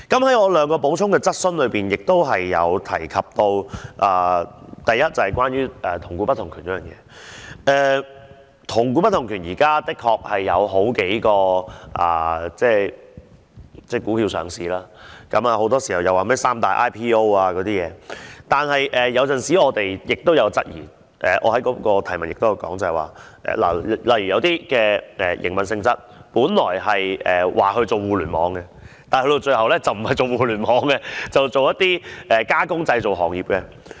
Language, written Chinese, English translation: Cantonese, 回到我的兩項補充質詢，我亦有提及關於"同股不同權"的問題，就是現時的確有數種股票上市，很多時候大家均提到"三大 IPO"， 但有時候我們也有所質疑——我的質詢是——例如就營運性質而言，有些本來說互聯網股，但到了最後並不是從事互聯網行業，而是從事加工製造行業。, That is several types of stocks are listed at the present moment . Very often people will talk about the three major IPOs . But sometimes we should question that as far as the nature of operation is concerned some stocks were originally claimed to be Internet stocks but they turned out to be engaging in other processing and manufacturing business